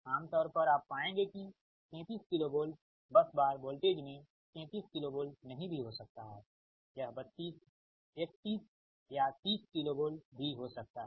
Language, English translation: Hindi, generally you will find that at thirty three k v bus bar voltage may not be thirty three k v